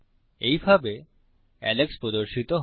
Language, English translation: Bengali, This is how Alex appears